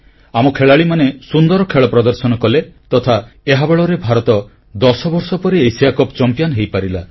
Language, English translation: Odia, Our players performed magnificently and on the basis of their sterling efforts, India has become the Asia Cup champion after an interval of ten years